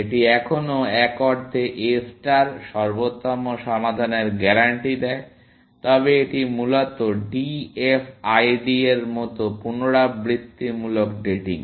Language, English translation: Bengali, It still, A star in the sense, guarantee the optimal solution, but is iterative datening like, DFID essentially